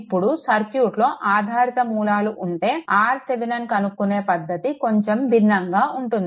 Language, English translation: Telugu, Now, this when dependent sources is there, technique of getting R Thevenin is slightly different